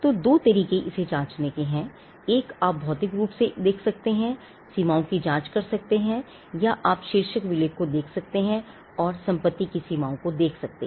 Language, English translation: Hindi, So, two ways to check it; one, you could look physically and check the boundaries, or you could look at the title deed and look for the boundaries of the property